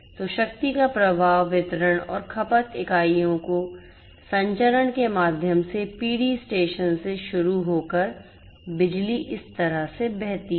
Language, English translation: Hindi, So, power flow is there so, starting from the generation station through the transmission to the distribution and consumption units the power flows like this